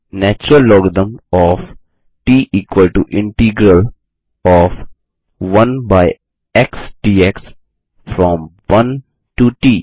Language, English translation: Hindi, The natural logarithm of t is equal to the integral of 1 by x dx from 1 to t